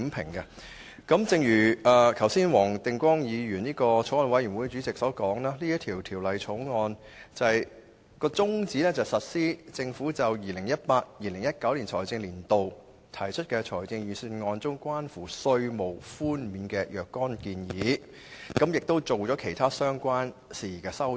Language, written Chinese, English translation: Cantonese, 正如法案委員會主席黃定光議員剛才所說，《條例草案》的宗旨是實施 2018-2019 年度財政預算案中有關稅務寬免的若干建議，以及就其他事宜提出相關修訂。, As pointed out by Mr WONG Ting - kwong Chairman of the Bills Committee just now the Bill aims to implement various proposals concerning tax concessions in the 2018 - 2019 Budget and introduce amendments concerning other matters